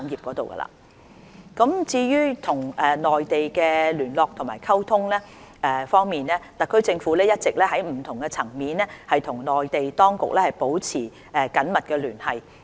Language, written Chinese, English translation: Cantonese, 內地聯絡溝通與內地聯絡溝通方面，特區政府一直在不同層面與內地當局保持緊密聯繫。, Liaison with the Mainland As regards the liaison and communication with the Mainland the Government has been maintaining close liaison with the Mainland authorities on various fronts